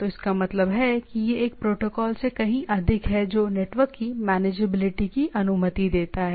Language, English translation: Hindi, So that means, its a more of a protocol which allows manageability of the network